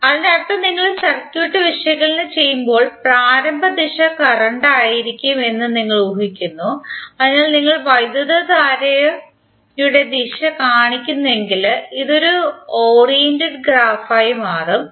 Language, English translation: Malayalam, That means that you when you analysis the circuit you imagine a the initial direction of may be the current, so then if you show the direction of the current then this will become a oriented graph